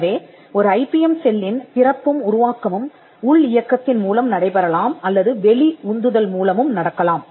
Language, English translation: Tamil, So, the genesis of an IPM cell could be either internally driven or it could be through and external push